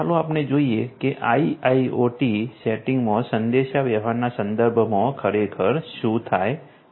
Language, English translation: Gujarati, Let us look at what actually happens with respect to communication in an IIoT setting